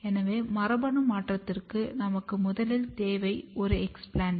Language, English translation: Tamil, So, for genetic modification, the first thing that we need is an explant